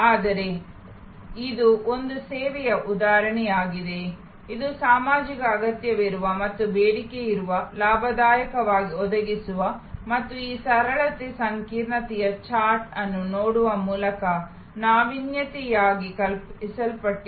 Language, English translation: Kannada, But, it is an example of a service, which is socially needed and demanded, gainfully provided and conceived as an innovation by looking at this simplicity complexity chart